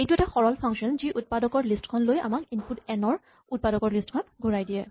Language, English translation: Assamese, This is a simple function which just takes the list of factors gives back the list of factors of the input n